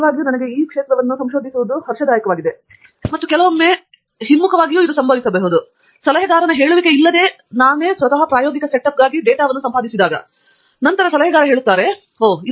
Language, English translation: Kannada, And, you know, that really excited me, and sometimes, the reverse would probably happen, that actually without my advisor telling me, I actually did data acquisition for my experimental setup; then advisor says, oh